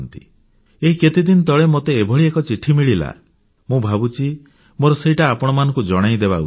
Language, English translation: Odia, Recently, I had the opportunity to read a letter, which I feel, I should share with you